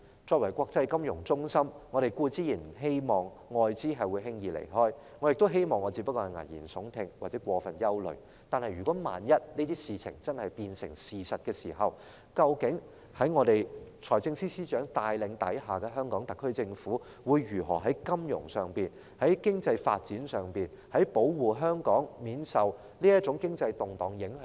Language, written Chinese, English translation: Cantonese, 作為國際金融中心，我們當然不希望外國的資金輕易離開，我亦希望自己只是危言聳聽或過分憂慮，但萬一這些事情真的變成事實，究竟在財政司司長帶領下，香港特區政府會如何在金融上、在經濟發展上，保護香港免受這種經濟動盪影響？, As an international financial centre we certainly do not want foreign funds to leave easily . I also wish I were only alarmist or overly worried but in the event that such things really come true how exactly will the HKSAR Government under FSs leadership protect Hong Kong from the impact of such economic turmoil on its finance and economic development?